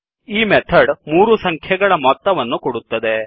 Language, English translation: Kannada, So this method will give sum of three numbers